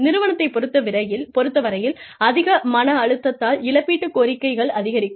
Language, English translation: Tamil, At the organizational level, too much of stress, could result in, increased compensation claims